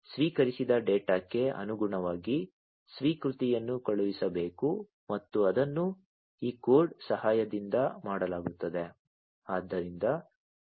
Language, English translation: Kannada, Now corresponding to the data that is received the acknowledgement will have to be sent and that is done with the help of this code, right